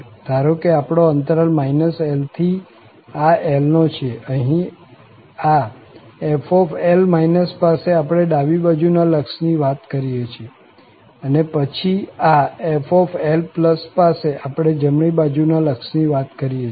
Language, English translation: Gujarati, So, suppose our interval was minus L to L, here, at this f, we are talking about the left limit and then here, at f, we are talking about the right limit